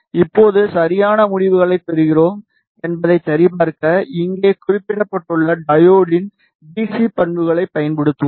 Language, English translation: Tamil, Now, to verify that we are getting the correct results we will use the DC characteristic of the diode which is specified over here